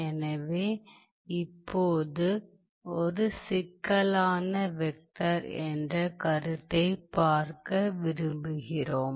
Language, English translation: Tamil, So, now, what we want to see is we want to see the notion of a complex vector